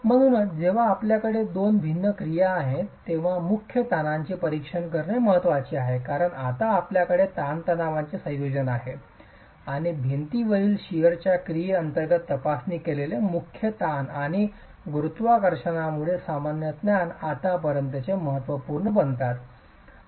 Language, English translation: Marathi, So, when you have two different actions, it is important to examine the principal stresses because you have a combination of stresses now and the principal stresses examined under the action of shear stresses in the wall and normal stresses due to gravity become important as far as the failure criterion is concerned